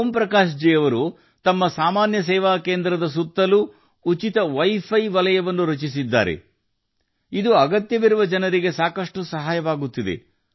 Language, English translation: Kannada, Om Prakash ji has also built a free wifi zone around his common service centre, which is helping the needy people a lot